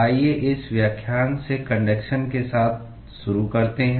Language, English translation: Hindi, Let us start with conduction from this lecture So, what is conduction